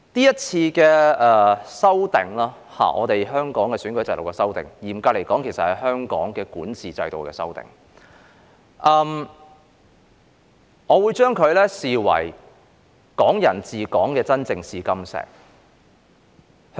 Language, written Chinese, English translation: Cantonese, 今次有關香港選舉制度的修訂，嚴格來說，其實是香港管治制度的修訂，我會視之為"港人治港"的真正試金石。, This amendment exercise on the electoral system of Hong Kong is strictly speaking about amending the system of governance in Hong Kong . I would regard it as the real touchstone of Hong Kong people administering Hong Kong